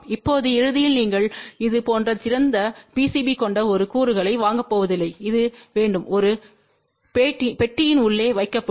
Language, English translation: Tamil, Now eventually you are not going to buy a component which has a open PCB like this, this has to be put inside a box